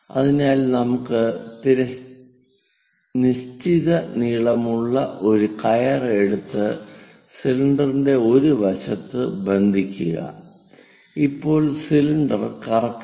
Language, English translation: Malayalam, So, let us take a rope of fixed length l, tie it on one side of the cylinder, now spin the cylinder